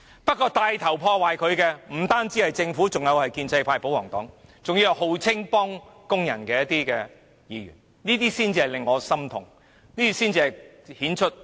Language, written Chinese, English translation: Cantonese, 不過，牽頭破壞這些原則的不只是政府，還有建制派和保皇黨，還有聲稱幫助工人的議員，這些人才令我感到心痛，這些人的行為才顯出他們的不義。, Yet the Government is not the only body which takes the lead to ruin these beliefs the royalists the pro - establishment camp and the Members who claim to support workers have also joined in which is the most saddening to me . Their behaviour has actually exposed their injustice